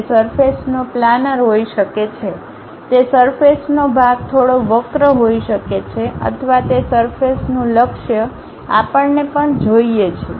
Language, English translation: Gujarati, It might be a planar kind of surfaces, it might be slightly curved kind of surfaces or perhaps the orientation of that surface also we require